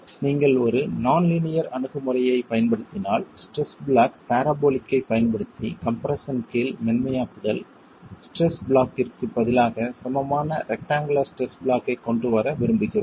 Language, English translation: Tamil, So it's only at the ultimate that we would like to bring in if you are using a non linear approach, the softening under compression with the use of a stress block, parabolic stress block replaced with an equivalent rectangular stress block